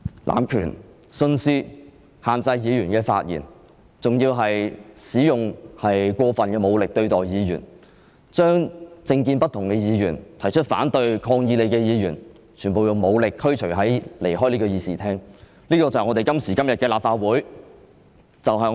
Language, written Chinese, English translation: Cantonese, 濫權、徇私、限制議員發言，還使用過分武力對待議員，把政見不同的議員、提出反對和抗議你的議員，全部用武力驅逐出會議廳——這便是今時今日的立法會。, You abused your power practised favouritism imposed restrictions on Members speaking and used excessive force against Members . You forcibly ordered Members with different political views who opposed and protested against you to leave the Chamber . This is the Legislative Council today